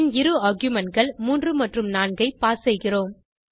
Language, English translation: Tamil, Then we pass two arguments as 3 and 4